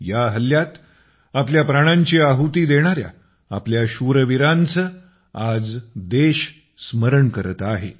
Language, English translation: Marathi, Today, the country is in remembrance of those brave hearts who made the supreme sacrifice during the attack